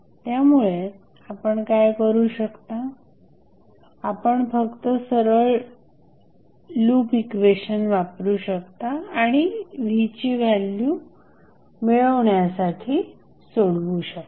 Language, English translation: Marathi, So, what you can do, you can just simply write the loop equation and simplify to get the value of Vth